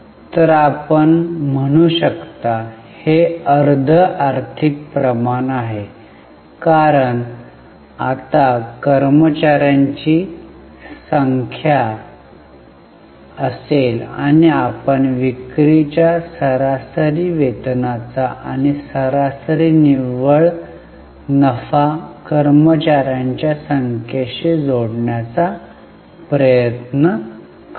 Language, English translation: Marathi, So, this is a semi financial ratio you can say because the denominator will be now number of employees and we will try to link the sales, average wages and average net profit to the number of employees